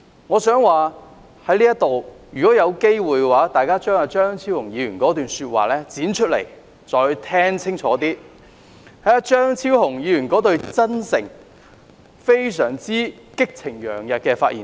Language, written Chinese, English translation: Cantonese, 我想說如果有機會，大家可以把張超雄議員發言的錄音紀錄剪出來，再聽清楚張超雄議員那段"真誠"、激情洋溢的發言。, I want to ask Members if they have a chance they can extract the recording and listen clearly again to Dr Fernando CHEUNGs sincere and passionate speech